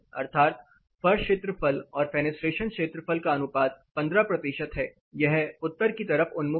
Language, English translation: Hindi, That is you know floor area to fenestration that ratio you know fenestration to floor area ratio is 15 percent, it is north orientation